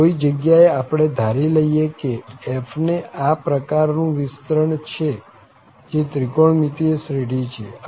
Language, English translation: Gujarati, So, suppose at the moment we just suppose that this f has such kind of expansion which is trigonometric series here